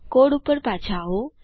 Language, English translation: Gujarati, Coming back to the code